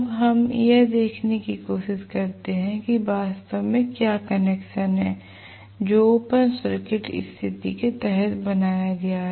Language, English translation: Hindi, Now, let us try to look at what is actually the connection that is made under the open circuit condition